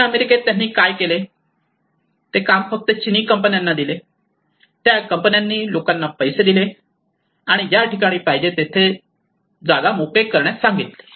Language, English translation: Marathi, In South America what they did was they just gave the Chinese companies they gave the money to the people, and they just ask them to vacate the places wherever they want they go